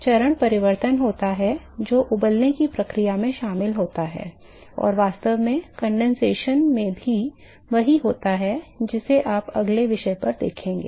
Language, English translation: Hindi, So, there is a phase change is involved in boiling process and in fact, the same thing is involved in condensation which you will next topic if we will look at